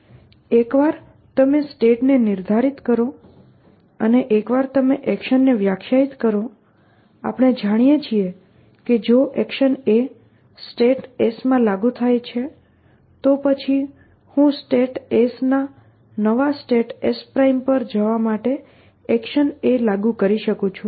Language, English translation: Gujarati, So, once you define a state and once you define an action, we know that if an action a is applicable in a state s, then I can apply action a to state s to go to a new state s prime, which is given